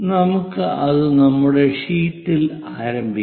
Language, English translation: Malayalam, Let us begin it on our sheet